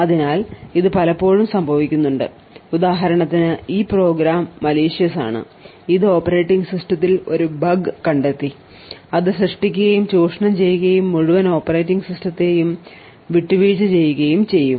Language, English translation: Malayalam, So, this occurs quite often what we see is that for example for this program is malicious it has found a bug in the operating system and it has created and exploit and has compromise the entire operating system